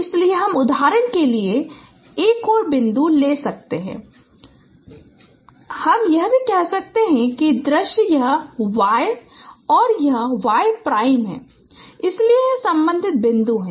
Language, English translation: Hindi, So you can take another points for example and also you can form its say images, say this is Y and say this is Y and say this is Y prime